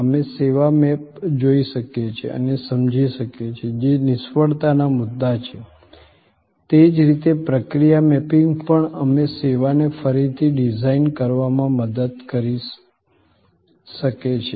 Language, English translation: Gujarati, We can look at the service map and understand, which are the failure points, in the same way process mapping can also help us to redesign a service